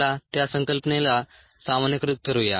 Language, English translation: Marathi, let us generalized that concept